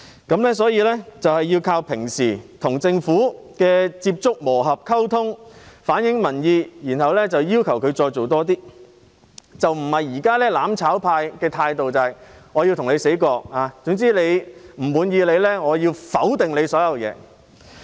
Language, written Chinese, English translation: Cantonese, 因此，我們要靠日常與政府接觸、磨合和溝通來反映民意，之後再要求政府多做一點，而不是像"攬炒派"現在奉行"你死我亡"的態度，總之有不滿便要全盤否定政府的一切。, Therefore we must rely on maintaining contact running in and communication with the Government on a routine basis in order to reflect public opinion and then urge the Government to make more efforts instead of following the attitude of one shall stand and one shall fall adopted by the mutual destruction camp . In short they will completely reject everything about the Government when they are dissatisfied